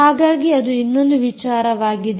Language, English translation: Kannada, ok, so that is another thing